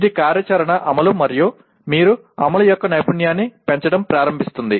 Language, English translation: Telugu, It is operational execution and then starts increasing the skill of your execution